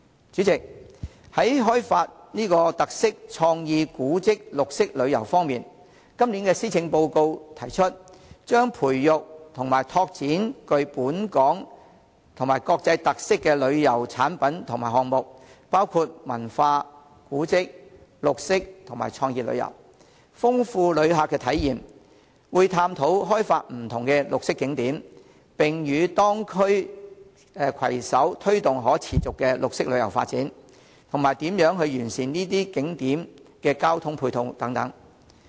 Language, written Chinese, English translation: Cantonese, 主席，在開發特色、創意、古蹟、綠色旅遊方面，今年施政報告提出，將培育及拓展具本港及國際特色的旅遊產品及項目，包括文化、古蹟、綠色及創意旅遊，豐富旅客體驗，會探討開發不同的綠色景點，並與當區攜手推動可持續的綠色旅遊發展，以及如何完善這些景點的交通配套等。, President on developing featured tourism creative tourism heritage tourism and green tourism the Policy Address this year proposes to develop and explore tourism products and projects with local and international characteristics including cultural tourism heritage tourism green tourism and creative tourism to enrich visitors experience . The Government will explore different green tourism attractions and collaborate with local districts to promote the development of sustainable green tourism and examine ways to improve their supporting transport arrangements